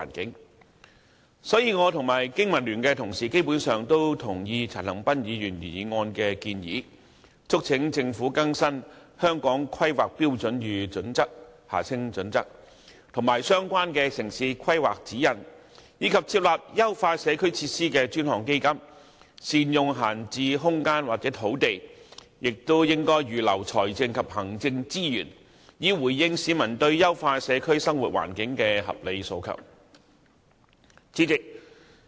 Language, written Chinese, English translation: Cantonese, 因此，我與香港經濟民生聯盟的同事基本上同意陳恒鑌議員原議案的建議，促請政府更新《香港規劃標準與準則》、相關的《城市規劃指引》，以及設立優化社區設施的專項基金，善用閒置空間或土地，並預留財政及行政資源，以回應市民對優化社區生活環境的合理訴求。, Hence my Honourable colleagues from the Business and Professionals Alliance for Hong Kong and I basically agree with the proposals made by Mr CHAN Han - pan in the original motion which include urging the Government to update the Hong Kong Planning Standards and Guidelines HKPSG and relevant town planning guidelines set up a dedicated fund for enhancement of community facilities optimize the use of idle spaces or land lots as well as earmark the necessary financial and administrative resources so as to respond to the legitimate public aspiration for enhanced living environment in communities